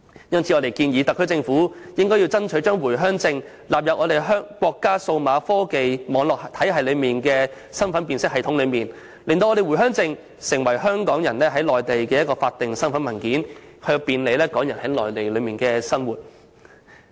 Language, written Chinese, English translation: Cantonese, 因此，我們建議特區政府爭取把回鄉證納入內地數碼科技網絡體系的身份辨別系統，令回鄉證成為港人在內地的法定身份文件，以便利港人在內地的生活。, Therefore we suggest that the SAR Government should strive to include Home Visit Permit numbers into the identification system of the Mainlands digital technology network and make Home Visit Permit a recognized identity document of Hong Kong people on the Mainland so as to make it more convenient for Hong Kong people to live on the Mainland